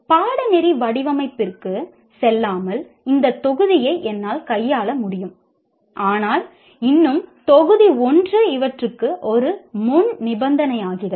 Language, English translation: Tamil, I may be able to handle this module without going through course design but still module one becomes a prerequisite for this